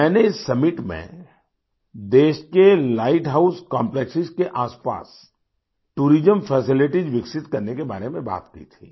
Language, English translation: Hindi, At this summit, I had talked of developing tourism facilities around the light house complexes in the country